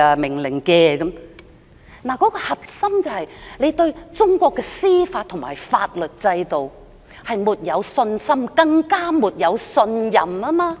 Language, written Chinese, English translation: Cantonese, 問題的核心是對中國的司法和法律制度沒有信心，更沒有信任。, The crux of the matter is the lack of confidence and trust in the judicial and legal systems in China